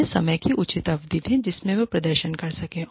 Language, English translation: Hindi, Give them, a reasonable period of time, in which, they can perform